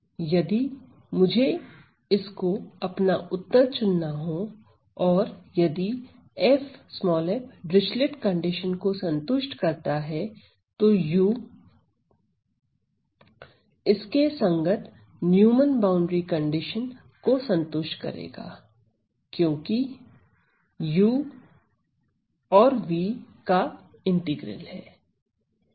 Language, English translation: Hindi, So, if we were to choose this as my solution and if v satisfies the Dirichlet condition then u satisfies the corresponding Neumann boundary condition because u is the integral of v